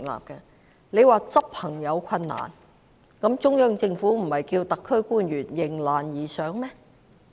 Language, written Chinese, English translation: Cantonese, 局長說在執行方面有困難，但中央政府不是叫特區官員迎難而上嗎？, The Secretary said that there were difficulties in the implementation . However does the Central Government not ask the SAR officials to rise to the challenge?